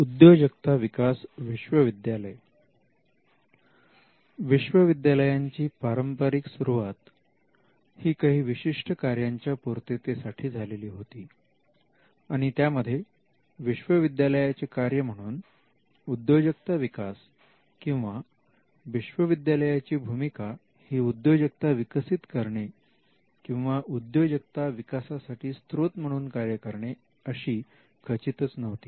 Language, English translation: Marathi, The Entrepreneurial University; universities traditionally started with certain functions and it is clear for us to understand that the entrepreneurial function of a university or what we call an entrepreneurial university by which we mean university discharging the role of an entrepreneur or the university becoming a source or a ground for entrepreneurial activity was not traditionally there